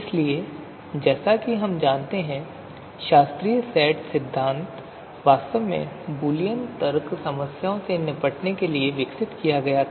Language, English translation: Hindi, So you know, classical set theory as we know about, so that was actually developed to cope with Boolean logic problems